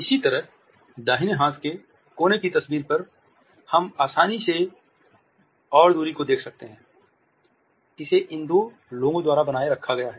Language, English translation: Hindi, Similarly on the right hand side corner photograph, we can look at the ease and the distance which has been maintained by these two people